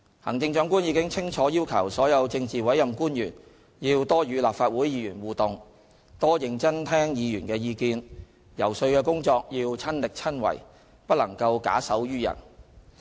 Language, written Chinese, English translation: Cantonese, 行政長官已清楚要求所有政治委任官員要多與立法會議員互動，多認真聽議員的意見，遊說的工作要親力親為，不能夠假手於人。, The Chief Executive made it clear that all politically appointed officials must have more interaction with Legislative Council Members listen to Members views seriously and engage in lobbying efforts instead of leaving this work to others